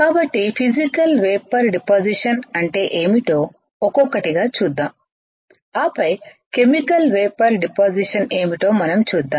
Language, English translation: Telugu, So, let us see one by one what is Physical Vapor Deposition and then we will move on to what is Chemical Vapor Deposition alright